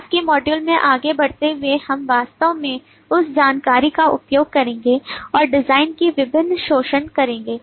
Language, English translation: Hindi, going forward in later modules we will actually use that information and do different refinements of the design